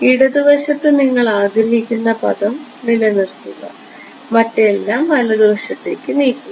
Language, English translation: Malayalam, keep the term that you want on the left hand side move everything else to the left hand side ok